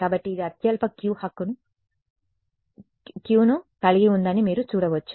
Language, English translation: Telugu, So, this is you can see this had the lowest Q right